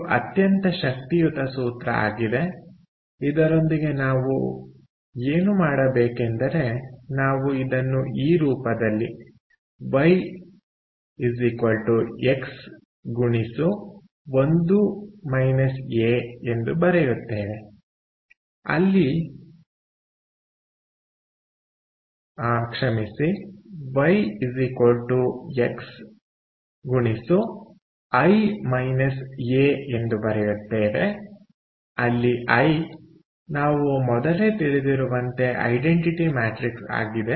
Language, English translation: Kannada, what we would do with this one is we will also write it in this form: that y is x times i minus a, where i, as we know, is identity matrix